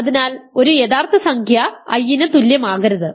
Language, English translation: Malayalam, So, a real number cannot be equal to i